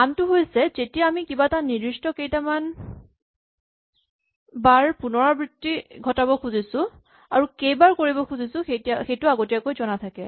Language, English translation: Assamese, The other is when we want to repeat something a fixed number of times and this number of times is known in advance